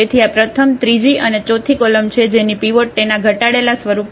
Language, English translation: Gujarati, So, again this first column third and forth they are the columns which have the pivots in their reduced in its reduced form